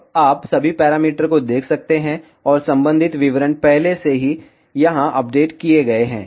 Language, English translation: Hindi, Now, you can see all the parameters and corresponding details are already updated here